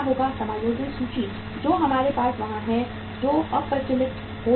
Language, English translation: Hindi, The adjusting inventory which is there with us that will become obsolete